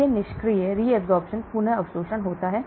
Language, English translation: Hindi, There is a passive re absorption